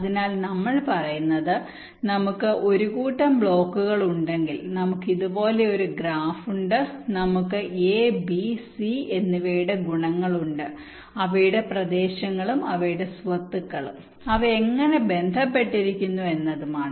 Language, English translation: Malayalam, ok, so what we saying is that if we have a small set of blocks, we have a graph like this, we have the properties of a, b and c, what are their areas and their properties, how they are connected